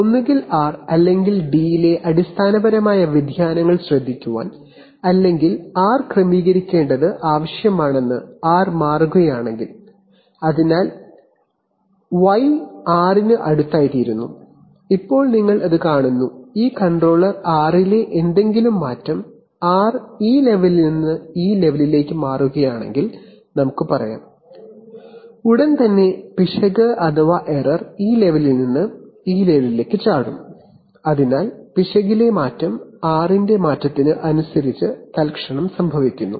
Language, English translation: Malayalam, To either take care of to, to, if, to take care of basically variations in either r or d so if r is changing that it needs to adjust u, so that y becomes close to r, now you see that, this controller does well because any change in r, if r changes from this level to this level let us say, then immediately the error will also jump from this level to this level, so the change in error e is almost instantaneous corresponding to the change in r